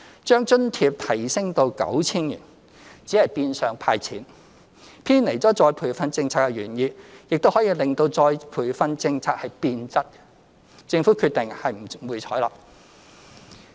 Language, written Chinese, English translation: Cantonese, 將津貼提升至 9,000 元只是變相"派錢"，偏離了再培訓政策的原意，亦可致再培訓政策變質，政府決定不會採納。, Increasing the allowance to 9,000 is in effect just handing out cash which will deviate from the original intention of the retraining policy and is twisting the retraining policyThe Government has decided not to accept it